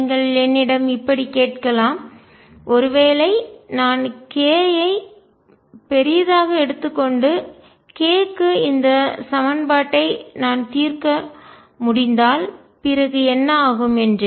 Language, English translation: Tamil, You may also ask me question what happens if I take k larger after I can solve this equation for k larger